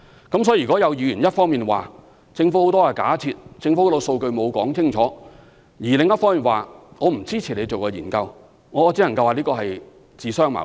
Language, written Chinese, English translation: Cantonese, 因此，若有議員一方面指政府很多假設和數據沒有依據，但另一方面又不支持我們進行研究，我只能說這是自相矛盾。, Therefore I would say that some Members are self - contradictory by accusing the Government of failing to justify its many assumptions on the one hand and objecting to conducting studies on the other